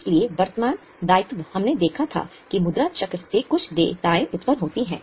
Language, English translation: Hindi, So, current liability we had seen that from the money cycle certain liabilities arise